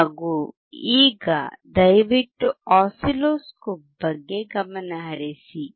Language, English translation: Kannada, Now please focus on the oscilloscope